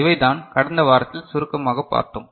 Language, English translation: Tamil, So, this is in brief what we discussed in the last week